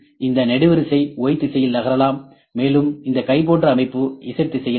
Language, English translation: Tamil, This column can move in Y direction, and this arm can move in Z direction